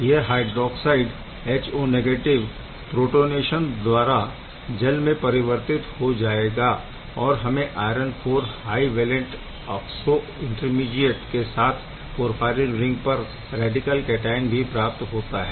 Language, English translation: Hindi, So, HO minus is getting protonated to give the water molecule and this iron IV highvalent oxo intermediate with radical cation on the porphyrin ring is getting generated